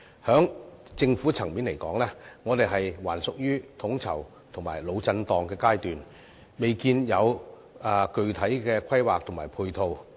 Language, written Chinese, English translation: Cantonese, 從政府層面來說，我們仍處於統籌及"腦震盪"的階段，未見有具體規劃及配套。, At the government level we are still at the stage of coordination and brainstorming and we have yet seen concrete planning and matching measures